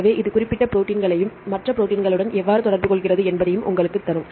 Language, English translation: Tamil, So, it will give you the particular proteins and how this interact with other proteins